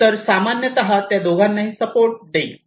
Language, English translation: Marathi, So, typically it will support both